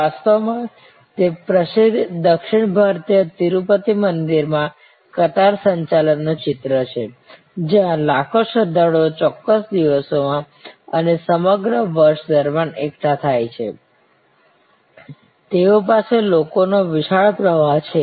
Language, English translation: Gujarati, In fact, that is a picture of the famous queue complex, it is in fact called a queue complex at the Tirupati, the famous south Indian Tirupati temple, where millions of pilgrims congregate on certain days and on the whole throughout the year, they have huge flow of people